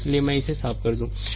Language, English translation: Hindi, So, let me clear it , right